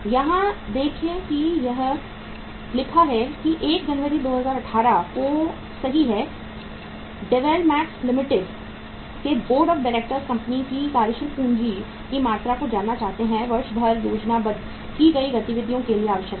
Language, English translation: Hindi, See here it is written that on 1st January 2018 right board of directors of Dwell Max Limited wishes to know the amount of working capital that will be required to meet the program of activity they have planned for the year